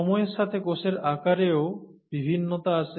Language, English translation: Bengali, So there is variation with time in the cell size also